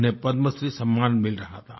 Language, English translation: Hindi, She was being decorated with the Padma Shri award ceremony